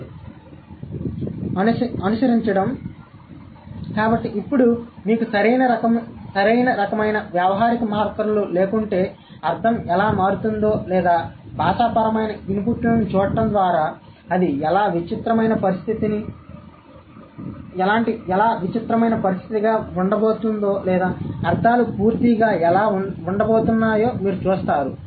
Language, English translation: Telugu, Following, so now you see how the meaning completely changes if you do not have the right kind of pragmatic markers or just by looking at the linguistic inputs how it's going to be a weird situation or how the meanings are going to be completely different